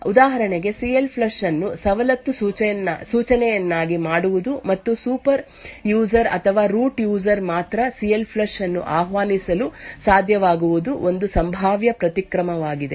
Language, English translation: Kannada, One possible countermeasure is to for example, is to make CLFLUSH a privilege instruction and only super users or root users would be able to invoke CLFLUSH